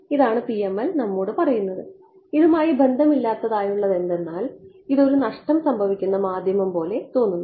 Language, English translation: Malayalam, This is what PML is telling us and seemingly unrelated this is what a lossy medium looks like